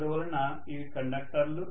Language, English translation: Telugu, So these are the conductors